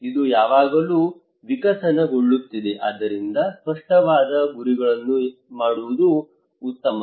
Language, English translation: Kannada, It is always evolving, so it is better to make a very clear objectives